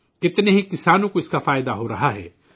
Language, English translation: Urdu, So many farmers are benefiting from this